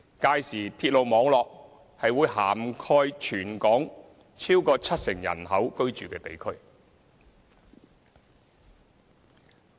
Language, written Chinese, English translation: Cantonese, 屆時鐵路網絡會涵蓋全港逾七成人口居住的地區。, By then areas inhabited by more than 70 % of the population in Hong Kong will be brought into the railway catchment area